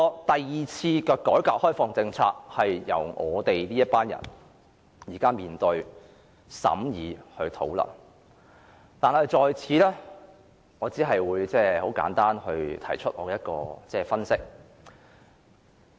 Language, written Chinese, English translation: Cantonese, 第二次改革開放政策由我們這一代人來面對、審議和討論，但我在此只會簡單提出我的分析。, We or this generation will be the ones to face scrutinize and discuss the policy on the second reform and opening - up . Here I will only share my brief analysis